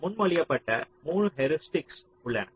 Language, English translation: Tamil, there are three heuristics which are proposed